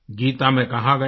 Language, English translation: Hindi, It has been mentioned in the Geeta